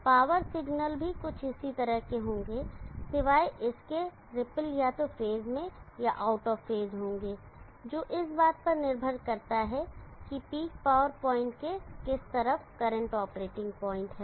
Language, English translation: Hindi, The power signals will be also something like this similar except the ripple will be either in phase or out of phase depending upon which side of the peak power point the current operating point is